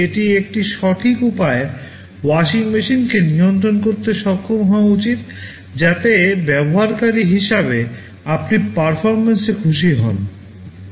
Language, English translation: Bengali, It should be able to control the washing machine in a proper way, so that as a user you would be happy with the performance